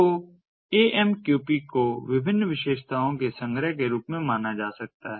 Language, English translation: Hindi, so amqp can be thought of as a collection of different features